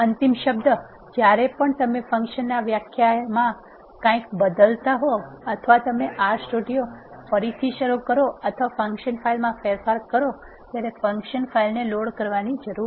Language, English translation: Gujarati, A final word we need to load the function file every time you change something inside the function definition either you restart R studio or make changes in the function file